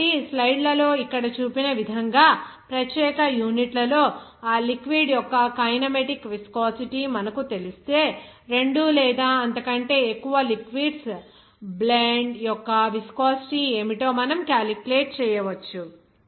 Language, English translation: Telugu, So, once you know that kinematic viscosity of that liquid in particular units as shown here in the slides, you can easily calculate what should be the viscosity of the blend of the two or more liquids